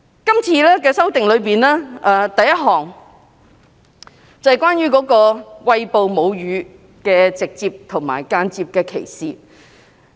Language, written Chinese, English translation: Cantonese, 這次要修訂的第一項內容，便是關於餵哺母乳的直接和間接歧視。, The first amendment introduced by the Bill is about direct and indirect discrimination against a woman on the ground of breastfeeding